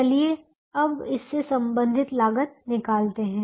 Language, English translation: Hindi, now let us find the cost associated with this